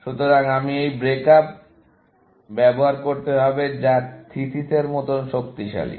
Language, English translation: Bengali, So, let me, yes, use this break up, which, as strong as thesis